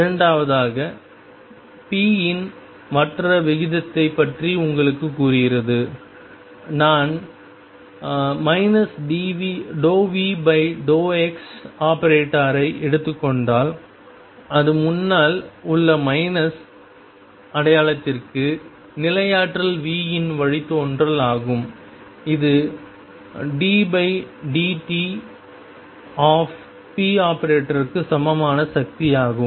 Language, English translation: Tamil, Second one tells you about the rate of change of p and that tells if I take the expectation value of minus dv dx that is the derivative of potential V to the minus sign in front which is the force this is equal to d by dt of average value of p